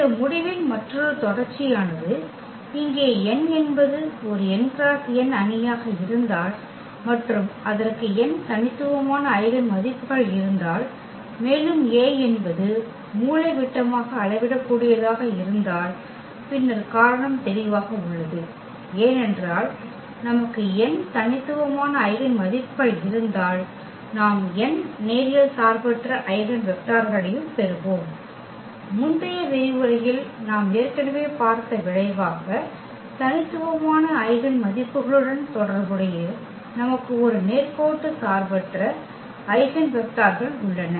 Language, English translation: Tamil, And another subsequence of this result we can we can have here if n is an n cross n matrix here A and it has n distinct eigenvalues, then also A is diagonalizable and then reason is clear, because if we have n distinct eigenvalues, then we will also get n linearly independent eigenvectors; that is a result we have already seen in previous lecture that corresponding to distinct eigenvalues we have a linearly independent eigenvectors